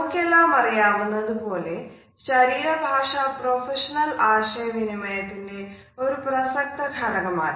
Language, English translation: Malayalam, As all of us are aware, body language is an integral part of our professional communication